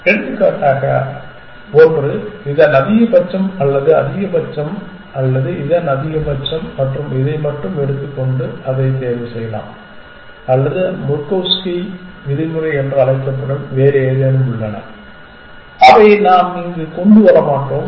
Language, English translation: Tamil, For example, one could take the max of this or max of this or max of this and this only and choose that or there are other something called Murkowski norm which we will not get into here